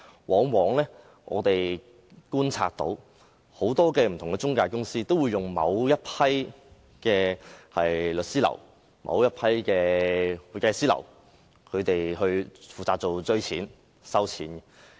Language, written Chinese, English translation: Cantonese, 根據我們的觀察，很多財務中介公司均會聘用某一批律師樓或會計師樓負責追討或收取費用。, According to our observation many financial intermediaries would hire a certain batch of law firms or accounting firms to demand or collect payment of fees